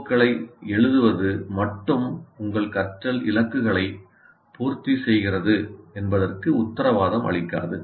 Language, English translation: Tamil, First thing is, writing COs alone doesn't guarantee that you meet your learning goals